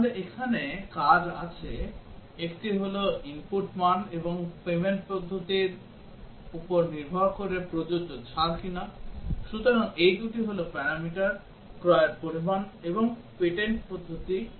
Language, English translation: Bengali, So there are actions here; one is that what is the discount that is applicable, depending on the input value and the payment method, so these two are the parameters, what is the purchase amount and payment method